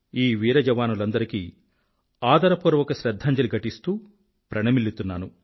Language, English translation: Telugu, I respectfully pay my homage to all these brave soldiers, I bow to them